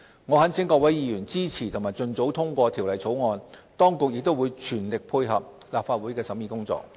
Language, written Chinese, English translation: Cantonese, 我懇請各位議員支持及盡早通過《條例草案》，當局亦會全力配合立法會的審議工作。, I implore Members to support and pass the Bill as soon as possible . The authorities will make the best endeavour to support the Legislative Council in scrutinizing the Bill as well